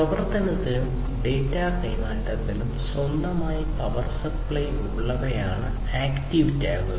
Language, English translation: Malayalam, Active tags are the ones which has their own power supply for operation and data transfer